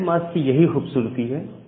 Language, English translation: Hindi, So that is the beauty of the subnet mask